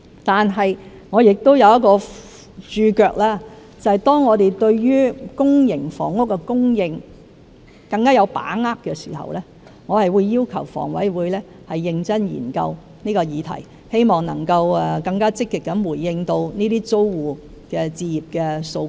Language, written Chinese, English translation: Cantonese, 就此，我亦有一個註腳，便是當我們對於公營房屋的供應更有把握時，我會要求房委會認真研究這項議題，希望能夠更積極地回應這些租戶置業的訴求。, On this point I would add the footnote that as we become more confident about the PRH supply I will ask HA to seriously study the proposal with a view to responding more positively to the home ownership demands of PRH tenants